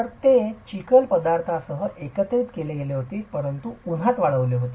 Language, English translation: Marathi, So, it was mud combined with materials but sun dried